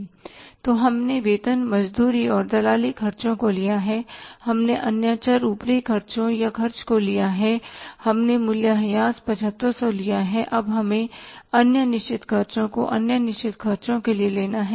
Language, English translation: Hindi, So, we have taken salary wages and commission expenses, we have taken other variable overheads or expenses, we have taken depreciation 7,000, and now we have to take the other fixed expenses to other fixed expenses